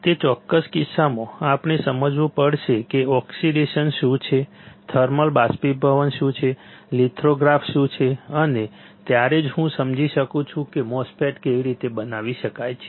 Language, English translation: Gujarati, In that particular case we have to understand what is oxidation, what is thermal evaporation , what is lithography, and only then I can understand how the MOSFET can be fabricated